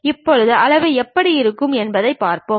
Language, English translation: Tamil, Now, let us look at how they look like